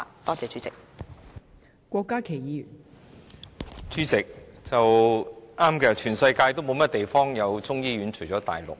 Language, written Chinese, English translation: Cantonese, 代理主席，對的，全世界除了大陸，便沒有其他地方有中醫醫院。, Deputy President yes Chinese medicine hospitals are indeed found nowhere in the world except China